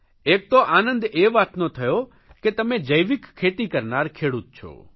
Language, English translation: Gujarati, I am happy that, you are a farmer engaged in organic farming